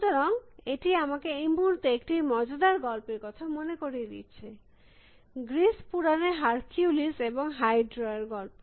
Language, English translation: Bengali, So, this actually reminds me of this in a moment, green this interesting story about Hercules and hydra in Greek methodology